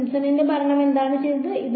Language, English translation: Malayalam, Simpson’s rule what did it do